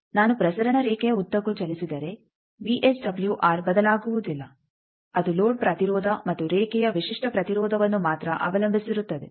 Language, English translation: Kannada, I say that if I move along transmission line VSWR does not change, it depends on only the load impedance and the characteristic impedance of the line